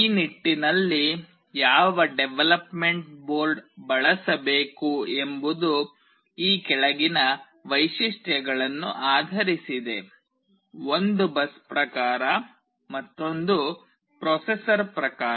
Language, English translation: Kannada, In that regard which development board to use is based on the following features; one is the bus type another is the processor type